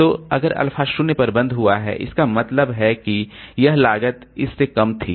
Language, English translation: Hindi, So, if alpha is close to 0, that means the this, this cost was less than this one